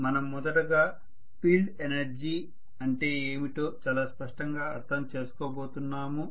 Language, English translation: Telugu, So we are first of all going to understand very clearly what is field energy